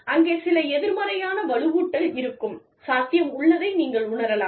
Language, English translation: Tamil, You feel, you know, there is a possibility of, some negative reinforcement